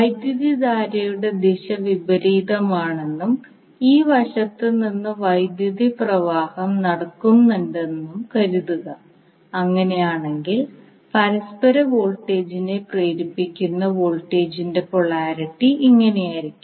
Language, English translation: Malayalam, So suppose if the direction of the current is opposite and current is flowing from this side in that case the polarity of the voltage that is induced mutual voltage would be like this